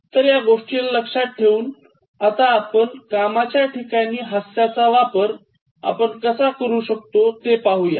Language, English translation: Marathi, So, keeping that in mind, let us see how we can introduce humour in workplace and what is the function of humour in workplace